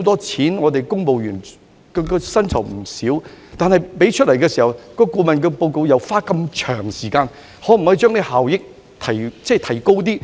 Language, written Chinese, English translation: Cantonese, 此外，公務員的薪酬開支也為數不少，而且在付錢後，顧問公司還要花長時間才能夠完成報告。, Besides the expenditure on civil servants remuneration is not small either . After the Government pays the money the consultant needs a long time to complete the report